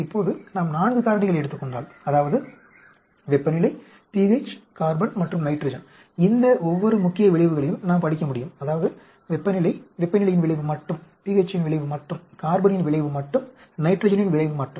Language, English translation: Tamil, Now, if we take 4 factors that is temperature, pH, carbon and nitrogen, we can study each one of these main effects, that is temperature effect of temperature alone, effect of pH alone, effect of carbon alone, effect of nitrogen alone